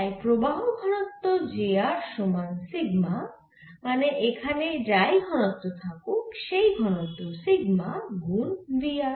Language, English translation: Bengali, so current density, which is j r, is given by sigma, means whatever density is there, sigma into v r